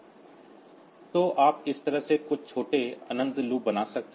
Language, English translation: Hindi, So, you can create some small infinite loops in this fashion